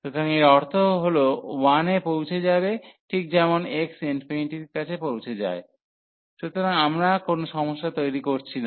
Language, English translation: Bengali, So, this term will just approach to 1 as x approaches to infinity, so we will not create any trouble